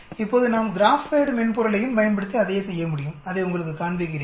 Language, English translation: Tamil, Now we can do the same thing, using the GraphPad software also let me show you that